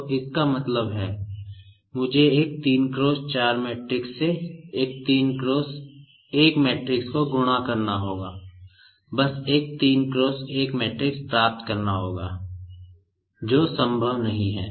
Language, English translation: Hindi, So, that means, I will have to multiply one 3 cross 1 matrix by one 3 cross 4 matrix, just to get a 3 cross 1 matrix, which is not possible